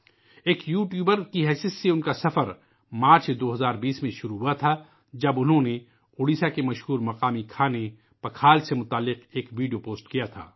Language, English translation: Urdu, His journey as a YouTuber began in March 2020 when he posted a video related to Pakhal, the famous local dish of Odisha